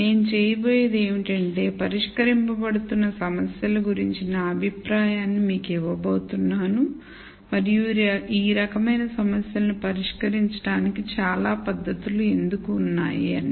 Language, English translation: Telugu, What I am going to do is I am going to give you my view of the types of problems that are being solved and why there are so many techniques to solve these types of problems